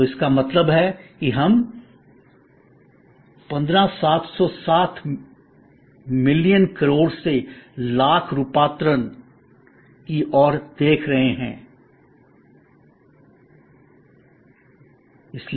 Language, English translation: Hindi, So, that means we are looking at 15760 million crore to million conversion, so 15760 thousand